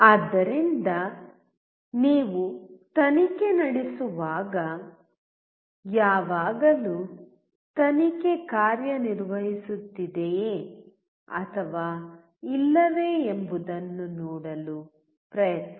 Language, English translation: Kannada, So, when you take a probe always try to see whether probe is working or not